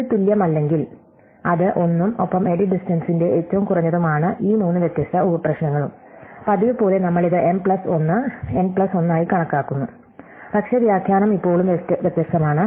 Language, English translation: Malayalam, If it is not equal, then it is 1 plus the minimum of the edit distance of these three different sub problems and as usual we extend this to m plus 1 n plus 1, but the interpretation is now different